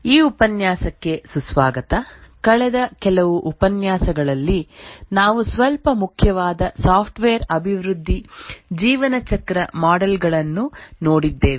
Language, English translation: Kannada, Welcome to this lecture over the last few lectures we had looked at a few important software development lifecycle models